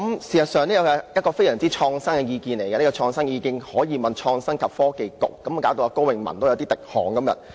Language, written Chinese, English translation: Cantonese, 事實上，這是非常創新的意見，這創新意見可讓創新及科技局接受質詢，令高永文今天也有點滴汗。, In fact this idea is so innovative that the Innovation and Technology Bureau should answer the question and KO Wing - man today is lost for words